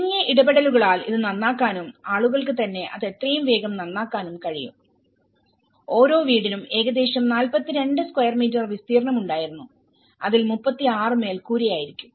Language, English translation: Malayalam, So that it could be repaired by minimal interventions and the community themselves can repair it as quickly as possible and the constructed area per house was about 42 square meter and 36 of which would be roof